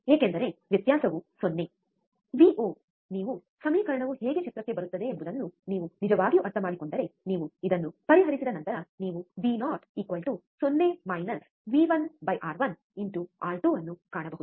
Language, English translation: Kannada, Since, the difference is 0, the Vo if you if you really go on understanding how the equation comes into picture, if you find out that once you solve this you can find Vo equals to 0 minus V 1 by R 1 into R 2